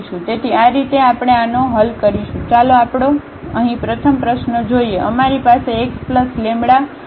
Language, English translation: Gujarati, So, in this way we will solve this let us from the let us look at the first problem here